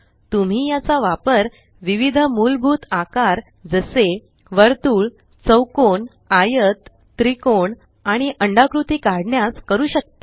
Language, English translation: Marathi, You can use it to draw a variety of basic shapes such as circles, squares, rectangles, triangles and ovals